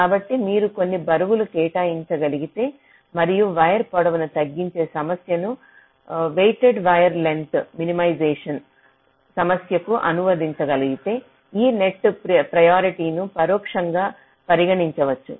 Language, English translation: Telugu, ok, so if you can assign some weights and if you can translate this problem of ah, minimizing wire length to a weighted wire length minimization problem, then this net priority can be implicitly taken into account, just to modify the cost function for the placement